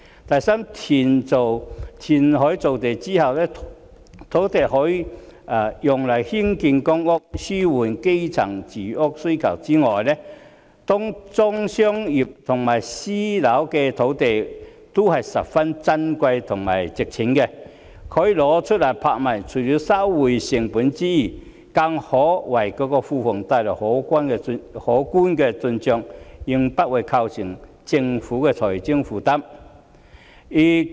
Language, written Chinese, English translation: Cantonese, 第三，填海造地之後，土地除了可以用來興建公屋，紓緩基層住屋需求之外，當中商業和私樓的土地都是十分珍貴和值錢的，可以拿出來拍賣，除了收回成本之外，更可為庫房帶來可觀的進帳，應不會對政府構成財政負擔。, Third after reclamation other than using the land so formed for public housing construction to alleviate the demand for housing among the grass roots the commercial and private housing sites are precious and valuable . They can be put to auction so that apart from achieving cost recovery they can also generate a handsome amount of revenue to the Treasury and should not constitute any financial burden for the Government